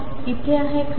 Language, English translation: Marathi, Is it here